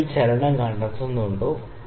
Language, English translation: Malayalam, Do you find the movement in the bubble